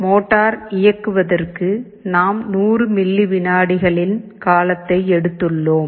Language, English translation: Tamil, For the motor driving, we have assumed a period of 100 milliseconds